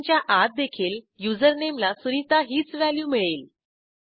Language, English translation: Marathi, Inside the function also, username takes the same value sunita